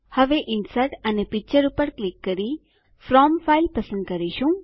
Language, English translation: Gujarati, Now, lets click on Insert and Picture and select From File